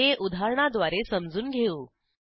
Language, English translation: Marathi, Let us understand this with an example